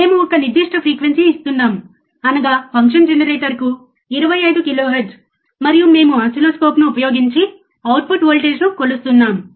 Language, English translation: Telugu, We are giving a particular frequency; that is, 25 kilohertz to function generator, and we are measuring the output voltage using the oscilloscope